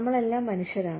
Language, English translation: Malayalam, We are all human beings